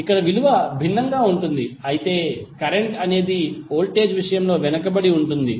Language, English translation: Telugu, So here the value would be different but the current would be lagging with respect to voltage